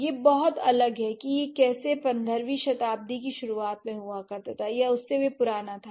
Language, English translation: Hindi, It has been very, very different how it used to be in the early 15th century or even older than that